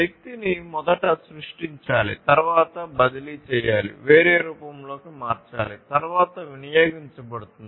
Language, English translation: Telugu, So, basically the energy has to be first created, the energy is then transferred, transformed into a different form, and then gets consumed